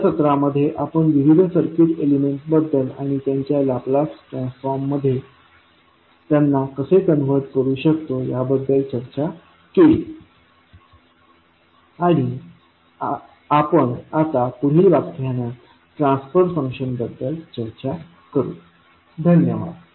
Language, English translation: Marathi, So, in this we discussed about various circuit elements and how you can convert them into Laplace transform and we will talk about now the transfer function in the next class, thank you